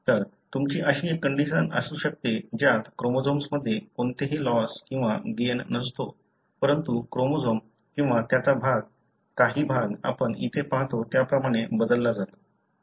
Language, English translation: Marathi, So, you may have a condition, wherein there is no loss or gain in the chromosome, but the order of the chromosome or part of the region is altered like what you see here